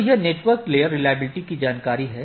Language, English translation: Hindi, There is a concept of network layer reachability information